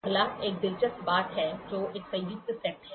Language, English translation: Hindi, Next one is an interesting thing which is a combined set